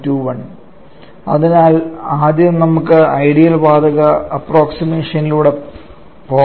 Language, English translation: Malayalam, So let us go by the ideal gas approximation first